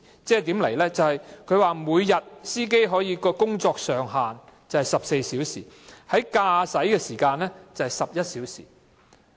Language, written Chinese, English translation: Cantonese, 這份指引訂明，車長每天的工作上限是14小時，駕駛的時間是11小時。, The guidelines stipulated that the maximum duty in a working day should not exceed 14 hours and driving duty should not exceed 11 hours